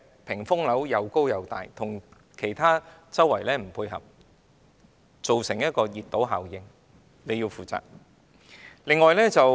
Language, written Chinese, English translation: Cantonese, 屏風樓又高又闊，與周邊環境不匹配，造成熱島效應，局長需就此負責。, Screen - like buildings are high and wide and they do not fit in with the nearby environment and cause the heat island effect . The Secretary must be held responsible for this